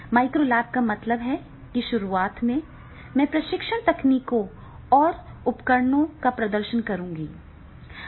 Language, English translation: Hindi, Micro lab means that is the in the beginning itself that I will demonstrate during my training techniques and tools